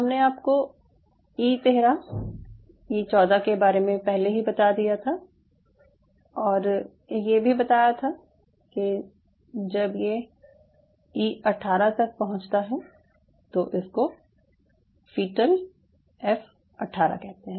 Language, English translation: Hindi, so, so i have already explained you about e thirteen, e fourteen and all that and up to by the time you are reaching e eighteen, it is called fetal ok, f eighteen